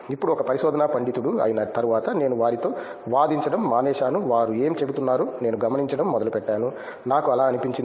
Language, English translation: Telugu, Now after being a research scholar I stopped arguing with them I started observing them what they are saying, I did feel like that